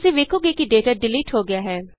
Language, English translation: Punjabi, You see that the data gets deleted